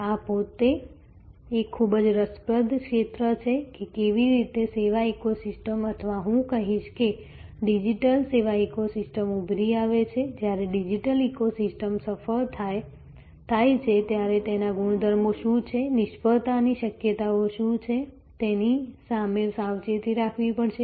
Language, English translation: Gujarati, This in itself is a very, very interesting area, that how the service ecosystems or I would say digital service ecosystems emerge, what are the properties when a digital ecosystem is successful, what are the possibilities of failure one has to guard against